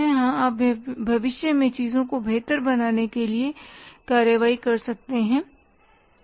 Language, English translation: Hindi, Yes you can take actions to improve the things in future